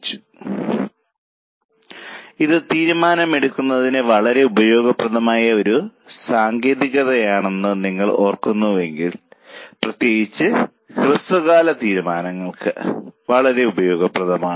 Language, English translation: Malayalam, Now if you remember this is a very useful technique for decision making, particularly useful for short term decisions